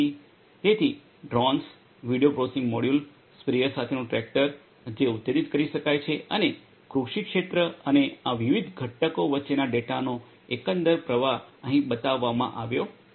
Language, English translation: Gujarati, So, drones, video processing module, tractor with sprayer which can be actuated, and agricultural field and the overall flow of data between these different components are shown over here